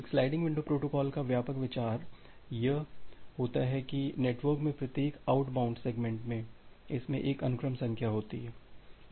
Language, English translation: Hindi, So, the broad idea of a sliding window protocol is as follows, that each outbound segment in the network, it contains a sequence number